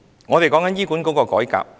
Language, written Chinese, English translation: Cantonese, 我們在談論醫管局改革。, We are talking about the reform of HA